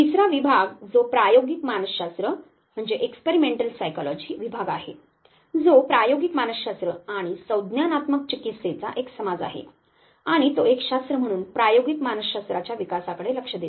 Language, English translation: Marathi, The third division that is the experimental psychology division which is basically a society for experimental psychology and cognitive science and it does know takes care of the development of experimental psychology as a science the fifth division